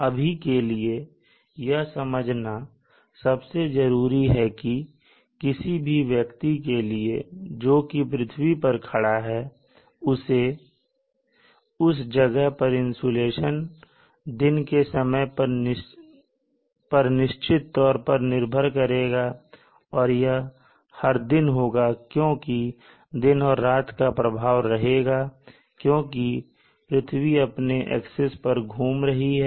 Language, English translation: Hindi, But for now important thing that you should understand is for a person standing on the surface of the earth, at that locality the insulation is dependent on any dependent on the time of the day and this is the diurnal changes and this happens every day because of the day night effect because the earth is rotating on its own axis